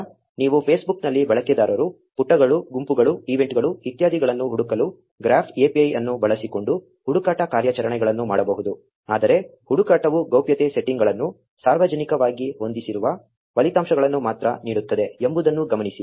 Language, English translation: Kannada, Now you can also perform search operations using the graph API to search for users, pages, groups, events etcetera on Facebook, but note that the search only returns results whose privacy settings are set to public